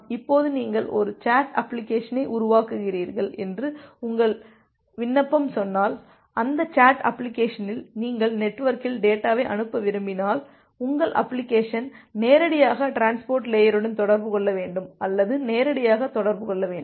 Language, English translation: Tamil, Now if your application say if you are building a chat application and in that chat application if you want to send data over the network then your application need to directly interface or directly interact with the transport layer